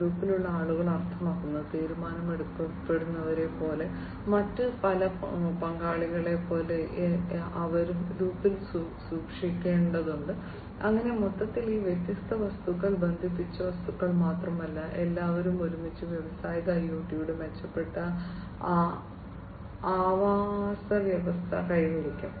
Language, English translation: Malayalam, People in the loop means, like decision makers, different other stakeholders, they will be also have to be kept in loop, so that overall not only these different objects, the connected objects, but everybody together will be achieving the improved ecosystem of industrial IoT